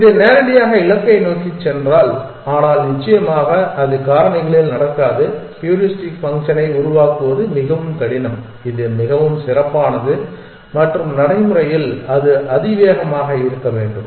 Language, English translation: Tamil, If it will directly goes straight towards the goal, but in factors of course that does not happen in factors it is very difficult to devise heuristic function which has so good and in practice it tense to be exponential